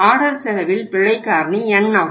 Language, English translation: Tamil, The error factor in the ordering cost is N